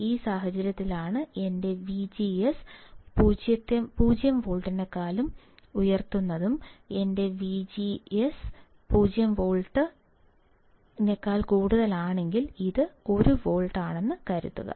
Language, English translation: Malayalam, That is in this case my V G S is greater than 0 volt, V G S is greater than 0 volt; If my V G S is greater than 0 volt, let us assume it is plus 1 volt